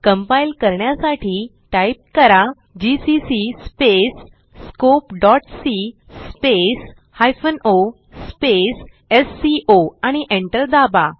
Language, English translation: Marathi, To compile type, gcc space scope.c space hyphen o space sco and press enter